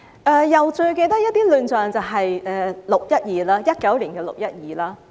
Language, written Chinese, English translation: Cantonese, 我又記得一些亂象，其中之一就是2019年的"六一二"事件。, I also remember some other chaotic situations one of which was the 12 June incident in 2019